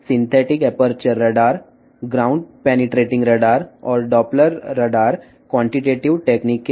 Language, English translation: Telugu, Synthetic aperture radar, ground penetrating radar, and the Doppler radar belongs to the qualitative technique